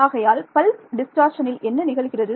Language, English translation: Tamil, So, this is what is called pulse distortion